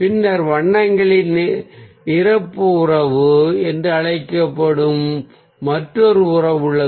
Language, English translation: Tamil, and then there is another relationship that is known as the complementary relationship of colours